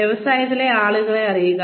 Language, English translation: Malayalam, Know the people, in the industry